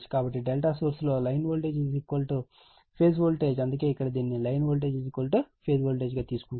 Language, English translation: Telugu, So, source is delta, line voltage is equal to phase voltage, that is why here it is taken line voltage is equal to phase voltage